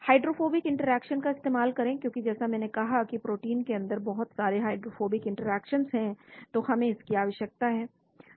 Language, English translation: Hindi, Make use of hydrophobic interactions, because as I said there are a lot of hydrophobic interactions in protein inside so we need to